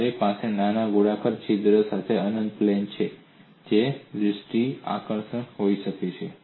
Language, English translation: Gujarati, You have an infinite plate with a small circular hole that could be visually appealing